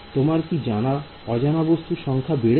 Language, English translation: Bengali, Will your unknowns increase